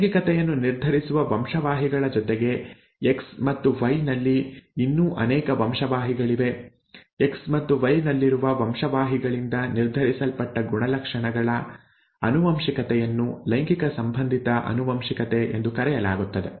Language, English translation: Kannada, In addition to sex determining genes, there are many other genes that are present on X and Y, the inheritance of characters determined by the genes present in X and Y is what is called sex linked inheritance